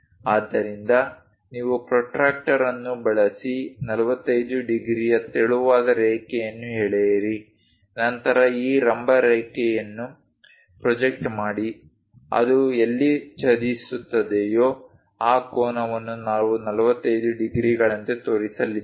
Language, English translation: Kannada, So, you draw a 45 degrees using protractor as a thin line, then project this vertical line so, wherever it intersects, that angle we are going to show as 45 degrees